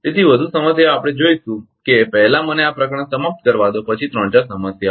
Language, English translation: Gujarati, So, more problems we will see let me finish this chapter after that 3 4 problems